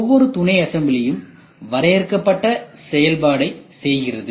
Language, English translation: Tamil, So, each sub assembly has a predefined function